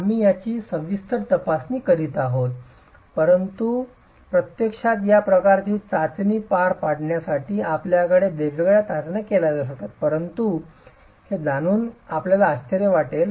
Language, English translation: Marathi, We will be examining these in detail, but you will be surprised to know that you can have different tests to actually carry out this sort of a test